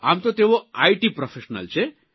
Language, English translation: Gujarati, You are from the IT profession,